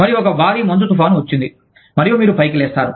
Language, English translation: Telugu, And, there is a massive snowstorm, and you are holed up